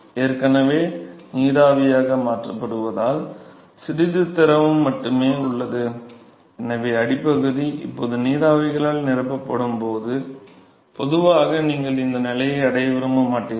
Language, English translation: Tamil, So, already being converted into vapor there is just well little fluid left and so, the bottom will now be filled with vapors, usually you never want to reach this stage